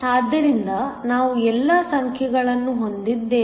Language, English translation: Kannada, So, we have all the numbers